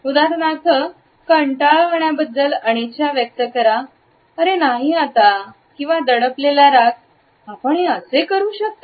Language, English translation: Marathi, For example, it can express boredom reluctance “oh not now” or suppressed rage “how can you”